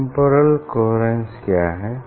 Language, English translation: Hindi, what is temporal coherence